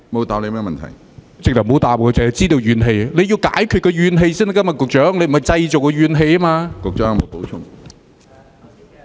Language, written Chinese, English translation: Cantonese, 他根本沒有答覆，只說知道有怨氣，局長是要解決民間的怨氣，而非製造怨氣。, He did not give a reply at all . He only said that he knew that there were grievances but what the Secretary should do is to address the grievances of the people instead of creating grievances